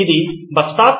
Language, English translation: Telugu, Is this a bus stop